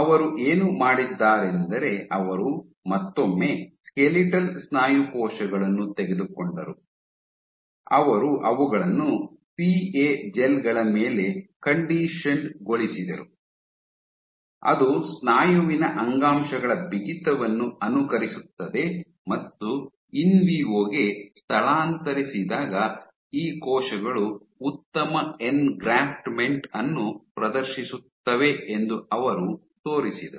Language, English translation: Kannada, What she did was she took skeletal muscle cells once again, she conditioned them on PA gels which mimic the tissue stiffness of muscle and she showed that these cells when transplanted in vivo, exhibit better engraftment